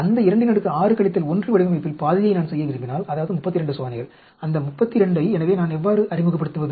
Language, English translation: Tamil, If I want to do half of that 2, 6 minus 1 design, that is 32 experiments, so how do I introduce that 32